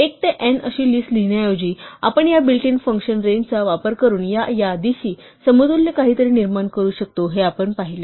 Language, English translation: Marathi, So, instead of writing out a list 1 to n, what we saw is that we can generate something equivalent to this list by using this built in function range